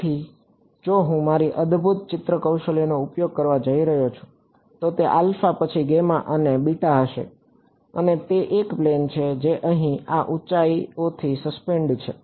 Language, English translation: Gujarati, So, it is going to be if I am going to use my fantastic drawing skills this would be alpha then gamma and beta and it is a plane that is at suspended by these heights over here ok